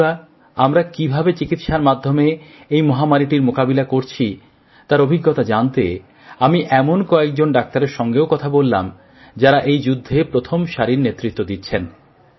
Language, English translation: Bengali, Friends, to know the capability with which we are dealing with this pandemic at the medical level, I also spoke to some doctors who are leading the front line in this battle